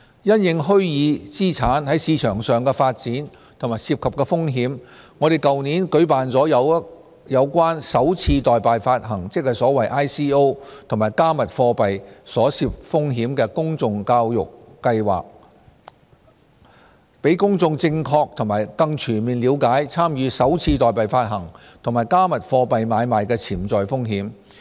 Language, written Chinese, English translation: Cantonese, 因應虛擬資產在市場上的發展和涉及的風險，我們在去年舉辦了有關"首次代幣發行"，即 ICO 及"加密貨幣"所涉風險的公眾教育活動，讓公眾正確和更全面了解參與"首次代幣發行"及"加密貨幣"買賣的潛在風險。, In view of the development of virtual assets in the market and the risks involved we launched a public education campaign last year on the risks associated with initial coin offerings ICOs and cryptocurrencies to provide the public with a correct and comprehensive understanding of the potential risks of participating in ICOs and cryptocurrency transactions